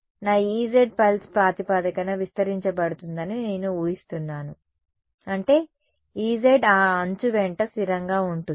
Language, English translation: Telugu, I am assuming that my E z is going to expanded on a pulse basis; that means, E z is constant along that edge